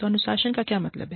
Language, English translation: Hindi, So, what does discipline mean